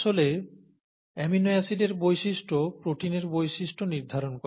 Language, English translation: Bengali, The nature of the amino acids, actually determines the nature of the proteins